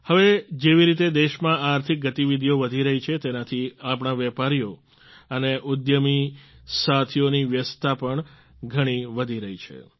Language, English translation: Gujarati, The way economic activities are intensifying in the country, the activities of our business and entrepreneur friends are also increasing